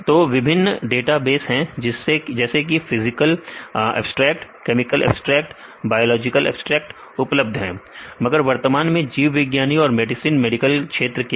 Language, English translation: Hindi, So, there are various databases like physical abstract, chemical abstracts, biological abstracts are available, but currently for the biologist and the medicine medical field